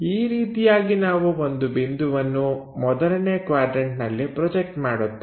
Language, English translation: Kannada, This is the way we project a point in the first quadrant